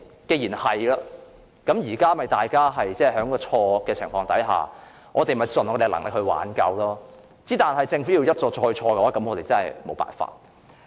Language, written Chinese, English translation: Cantonese, 既然如此，大家只能在已經錯誤的情況下盡力挽救，但政府要一錯再錯，我們也沒有辦法。, Under such circumstances we can only try our best to right the wrong but there is nothing we can do if the Government wants to make mistakes after mistakes